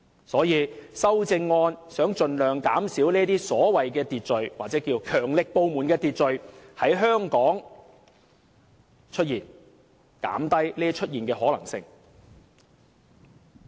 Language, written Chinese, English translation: Cantonese, 所以，修正案就是想盡量減少所謂強力部門的秩序在香港出現，是要減低其出現的可能性。, Hence the amendments aim to minimize the appearance or reduce the possibility of the appearance of the so - called forceful agencies order in Hong Kong